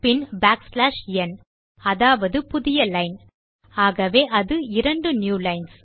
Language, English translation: Tamil, Then just use backslash n which is new line so thats 2 new lines